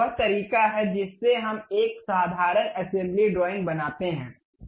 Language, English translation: Hindi, This is the way we construct a simple assembly drawing